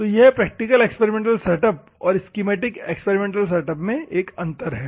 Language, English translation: Hindi, So, this is the difference between the practical experimental setup and schematic experimental setup